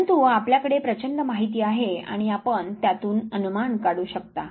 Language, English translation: Marathi, But then you have a voluminous data and you can draw inference out of it